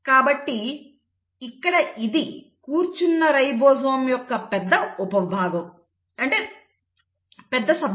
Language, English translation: Telugu, So this is the large subunit of the ribosome which is sitting